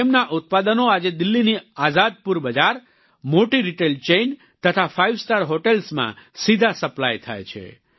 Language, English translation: Gujarati, Their produce is being supplied directly to Azadpur Mandi, Delhi, Big Retail Chains and Five Star Hotels